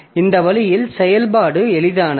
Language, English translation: Tamil, So that way the operation becomes easy